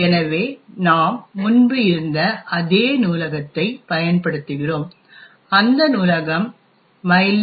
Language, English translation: Tamil, So, we use exactly the same library as before, the library is called mylib